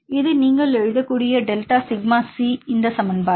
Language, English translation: Tamil, This is a delta sigma C right you can write this equation